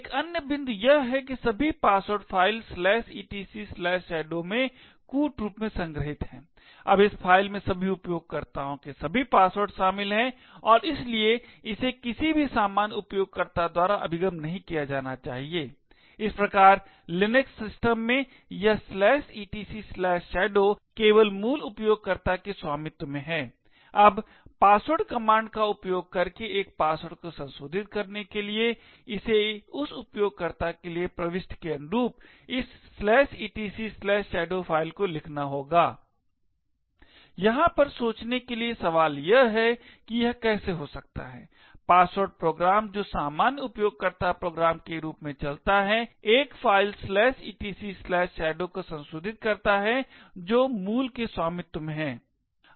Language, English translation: Hindi, Another point is that all passwords are stored in the encrypted form in the file /etc/shadow, now this file comprises of all passwords of all users and therefore should not be accessed by any ordinary user, thus in the Linux system this /etc/shadow is only owned by the root user, now to modify a password using the password command, it would require to write to this /etc/shadow file corresponding to the entry for that user, question to think about over here is that how can a password program which runs as the normal user program modify a file /etc/shadow which is owned by the root